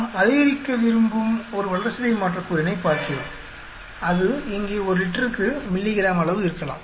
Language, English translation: Tamil, We are looking at a metabolite which we want to maximize, it could be in quantity of milligrams per liter here